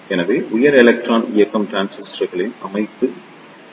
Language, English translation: Tamil, So, here is a structure of high electron mobility transistor